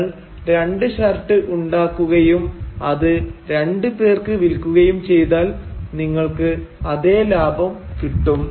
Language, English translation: Malayalam, You will have to make two shirts and you will have to sell it to two people in order to get that profit